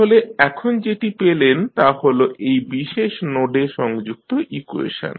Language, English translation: Bengali, So, what you have got now, you have got the equation connected to this particular node